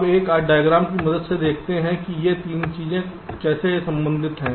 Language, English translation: Hindi, now let us see, with the help of a diagram, how these three things are related